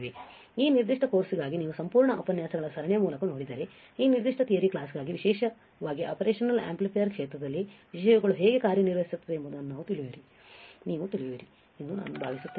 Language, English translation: Kannada, So, I hope that if you go through the entire series of lectures for this particular course, for this particular theory class then you will know how the how the things works particularly in the area of operational amplifiers